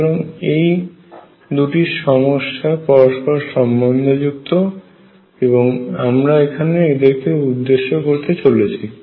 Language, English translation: Bengali, So, these 2 problems are related and that is what we have going to address now